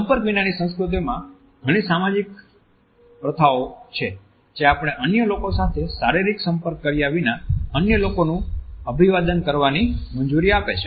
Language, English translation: Gujarati, There are several societal practices in non contact cultures which allow us to greet other people without having a physical contact with others